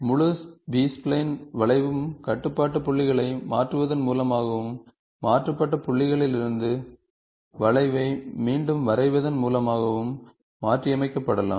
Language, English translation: Tamil, The entire B spline curve can be a affinely transformed by transforming the control points and redrawing the curve from the transformed points